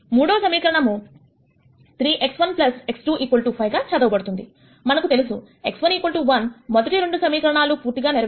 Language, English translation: Telugu, The third equation reads as 3 x 1 plus x 2 equals 5, we already know x 1 equal to 1 satisfies the first 2 equations